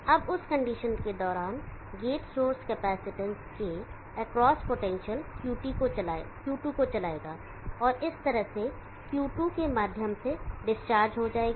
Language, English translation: Hindi, Now during that condition, the potential across the gate source capacitance will drive Q2 and discharge through Q2 in this fashion